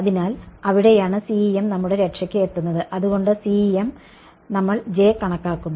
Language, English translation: Malayalam, So, that is where CEM comes to the rescue right so, CEM we calculate J